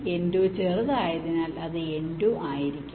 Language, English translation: Malayalam, since n two is smaller, it will be n two